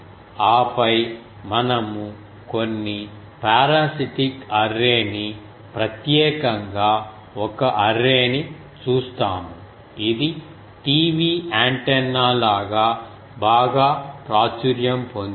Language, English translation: Telugu, And then we will see some parasitic array particularly one array, which is very popular as the TV antenna was very popular